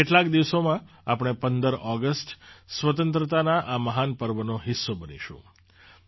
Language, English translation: Gujarati, In a few days we will be a part of this great festival of independence on the 15th of August